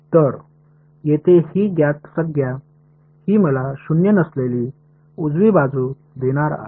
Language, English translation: Marathi, So, these this known term over here this is what is going to give me a non zero right hand side